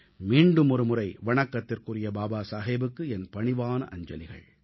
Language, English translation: Tamil, Once again my humble tribute to revered Baba Saheb